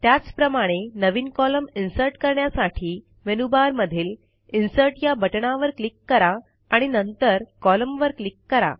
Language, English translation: Marathi, Similarly, for inserting a new column, just click on the Insert button in the menu bar and click on Columns